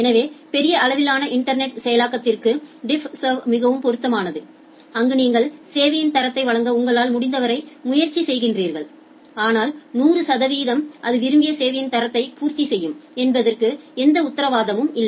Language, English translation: Tamil, So, for internet scale implementation, DiffServ architecture is more suitable where you just try your best to provide the quality of service, but there is no guarantee that 100 percent of the time it will met the desired quality of service